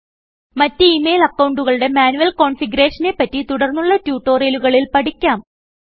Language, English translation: Malayalam, We shall learn about manual configurations for other email accounts in later tutorials